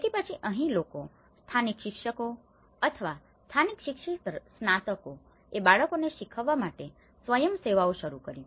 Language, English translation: Gujarati, So, here then people, the local teachers or the local educated graduates, they started volunteering themselves to teach to the children